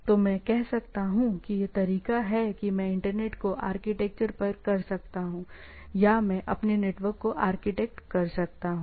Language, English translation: Hindi, So, I can, I can say this is the way I architect the internet, right or I architect my network